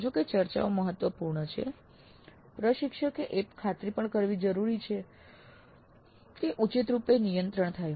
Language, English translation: Gujarati, While discussions are important, it is also necessary for the instructor to ensure that proper moderation happens